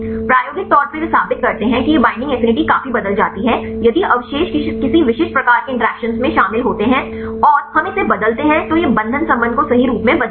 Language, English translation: Hindi, Experimentally they prove that this binding affinity drastically changes if the residues are involved in any specific types of interactions and we mutate this will change the binding affinity right